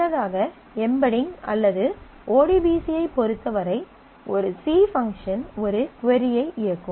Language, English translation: Tamil, Earlier in terms of embedding or in terms of ODBC, a C function was executing a query